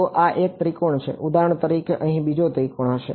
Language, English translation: Gujarati, So, this is 1 triangle for example, there will be another triangle over here